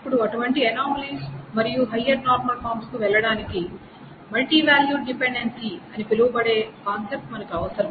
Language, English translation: Telugu, Now to handle such anomalies and to go to higher normal forms will require the concept of what is called a multivalute dependency